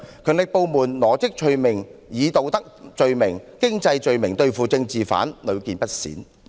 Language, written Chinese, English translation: Cantonese, 強力部門羅織罪名，以道德罪名及經濟罪名對付政治犯的情況，屢見不鮮。, It is not uncommon for the powerful agencies to trump up charges such as moral and economic crimes against political prisoners